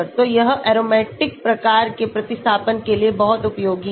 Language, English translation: Hindi, So, this is very useful for aromatic type of substituents